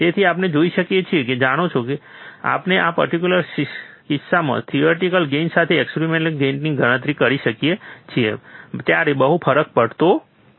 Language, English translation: Gujarati, So, we see that, you know, not much difference happens when we calculate experiment gain with theoretical gain in this particular case